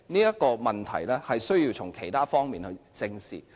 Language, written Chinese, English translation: Cantonese, 這個問題須從其他方面正視。, We must face up to this problem from other perspectives